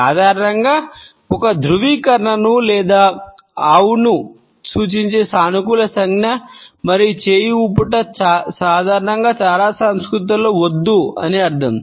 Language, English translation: Telugu, Normally, a positive gesture to signify an affirmation or yes and a shake of a hand is normally considered to be a no in most cultures right